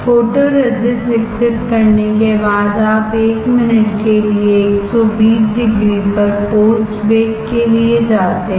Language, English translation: Hindi, After developing photoresist you go for post bake at 120 degree for 1 minute